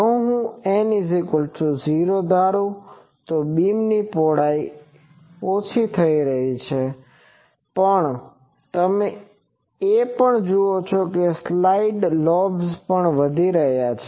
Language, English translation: Gujarati, If I go to N is equal to 10, beam width is reducing, but also you see that number of side lobes are also increasing and this